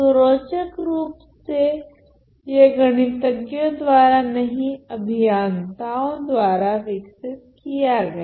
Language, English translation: Hindi, So, interestingly it was not brought about by any mathematicians, but engineers